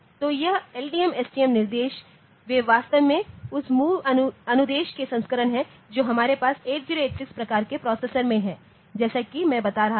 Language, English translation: Hindi, So, this LDM, STM instruction, they are actually the variant of that MOVs instruction that we have in 8086 type of processor as I was telling